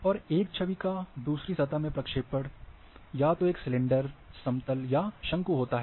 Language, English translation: Hindi, And projection of an image into another surface, either a cylinder,flat plane or cone